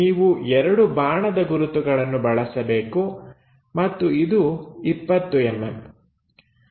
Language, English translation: Kannada, So, you use by arrows double arrows and this will be 20 mm